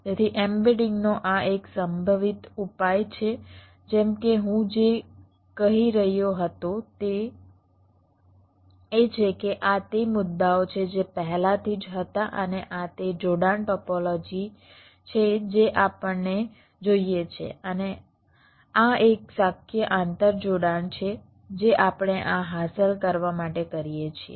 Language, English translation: Gujarati, like, what i was saying is that these are the points which were already there and this is the connection topology that we want and this is one possible interconnection that we do to achieve this